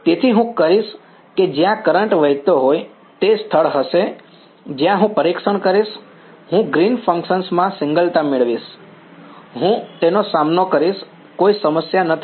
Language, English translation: Gujarati, So, I will where the current is flowing that is going to be the place where I will do testing, I will get the singularity in Green's functions I will deal with it not a problem